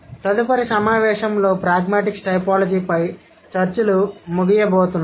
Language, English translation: Telugu, The next session is going to wind up the discussions on pragmatic typology